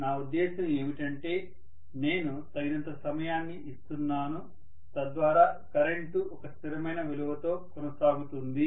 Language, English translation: Telugu, What I mean is I am giving sufficient time, so that the current almost persists at a constant value, no matter what